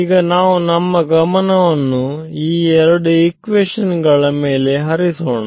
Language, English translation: Kannada, So, now let us move attention to these two equations that I written over here